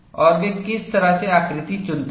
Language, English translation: Hindi, And what way they choose the configurations